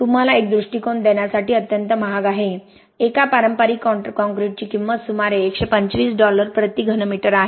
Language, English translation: Marathi, Extremely expensive to give you a perspective a conventional concrete cost about 125 dollars a cubic meter